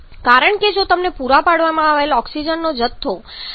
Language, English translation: Gujarati, Because if your supplied quantity of oxygen is less than 12